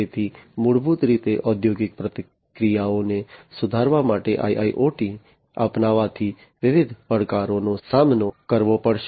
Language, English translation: Gujarati, So, basically adoption of IIoT for improving industrial processes, different challenges are going to be faced